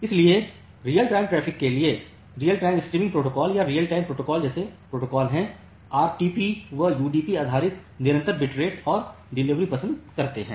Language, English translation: Hindi, So, that is why for real time traffic there are protocol like real time streaming protocol or the real time protocol, RTP they prefer UDP based constant bit rate delivery